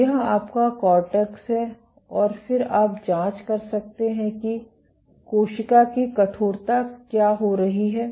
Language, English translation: Hindi, So, this is your cortex and then you can probe what is happening to the cell stiffness